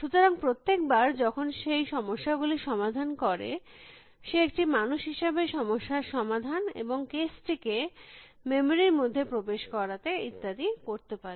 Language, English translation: Bengali, So, every time is solve a problem, he could be a human being solving a problem and put in the case into the memory and so on